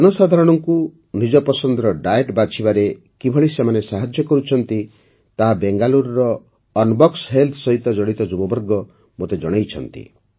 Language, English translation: Odia, The youth associated with Unbox Health of Bengaluru have also expressed how they are helping people in choosing the diet of their liking